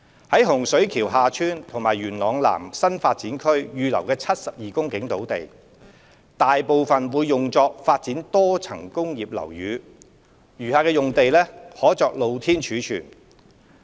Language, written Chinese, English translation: Cantonese, 在洪水橋/廈村及元朗南新發展區預留的72公頃土地，大部分會用作發展多層工業樓宇，餘下用地可作露天貯物。, In this regard most of the 72 hectares of land reserved in HSKHT and YLS NDAs will be used for development of multi - storey buildings MSBs and the remaining area may be used for open storage